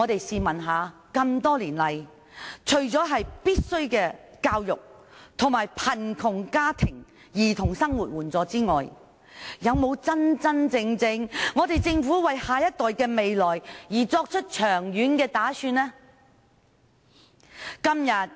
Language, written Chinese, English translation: Cantonese, 試問多年來，政府除了提供必需的教育，以及為貧窮家庭的兒童提供生活援助之外，有否真正為下一代的未來作長遠打算呢？, Where did the problem come from? . Over the years apart from providing essential education and livelihood assistance for children from poor families has the Government really made long - term preparations for the next generation?